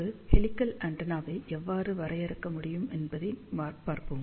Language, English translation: Tamil, So, let us see, how we can define a helical antenna